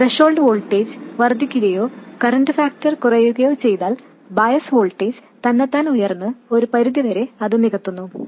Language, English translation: Malayalam, If the threshold voltage increases or the current factor drops, this bias voltage itself increases to compensate for it to some extent